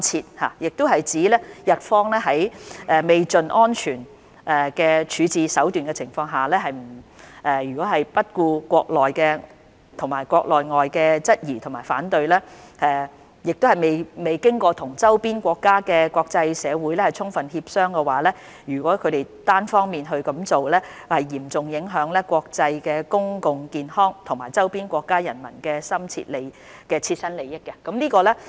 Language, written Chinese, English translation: Cantonese, 中國外交部亦指出，日方在未窮盡安全處置手段的情況下，不顧國內外質疑和反對，未經與周邊國家和國際社會充分協商而單方面這樣做，將嚴重影響國際公共健康安全和周邊國家人民的切身利益。, MFA has added that Japans unilateral action without exhausting all alternative safe disposal methods in defiance of questions and objections at home and abroad and without fully consulting neighbouring countries and the international community will seriously threaten international public health safety and the immediate interests of people living in its neighbours